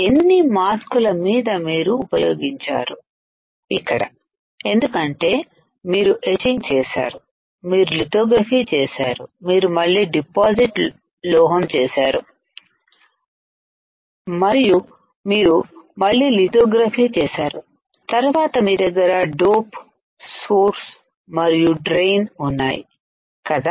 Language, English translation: Telugu, , On how many masks you have used here because you have etching, you have done lithography, you have again deposit metal, you have again did lithography, then you have the dope the source and drain right then you have created windows